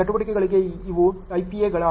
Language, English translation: Kannada, These are the IPAs for the activities